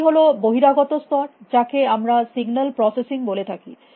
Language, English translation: Bengali, One is the outermost layer is what we can call a signal processing